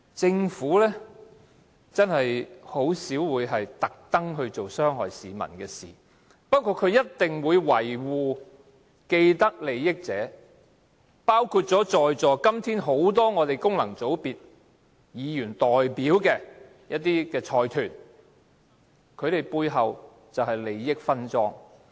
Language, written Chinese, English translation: Cantonese, 政府真的很少會故意做傷害市民的事情，不過它一定會維護既得利益者，包括今天在座很多功能界別議員所代表的財團，他們背後便是利益分贓。, I think it is admittedly true that the Government seldom intends to do anything that will harm the people . But it is equally true that it will always protect people with vested interests including the consortia represented by the Functional Constituency Members present here today . Behind these Members benefits are apportioned secretly